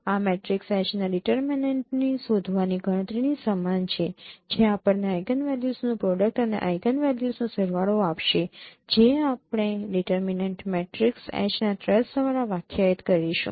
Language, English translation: Gujarati, This is the same as computation of finding computing the determinant of the matrix H which will give us the product of eigenvalues and the sum of the eigenvalues would be defined by the trace of the matrix H which you have defined